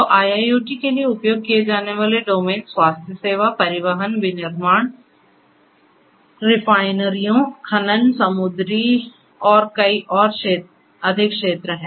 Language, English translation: Hindi, So, the domains of used for IIoT lies in many different areas such as healthcare, transportation, manufacturing, plants refineries, mining, marine and many; many more